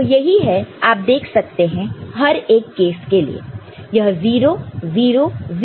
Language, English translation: Hindi, So, that is what you see for each of these case this is 0, 0, 0, this is 1